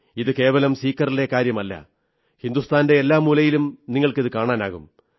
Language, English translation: Malayalam, And this is not only about Sikar, but in every corner of India, you will witness something akin to this